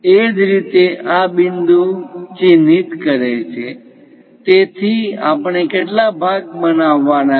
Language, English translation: Gujarati, Similarly, this point mark, so how many we have to make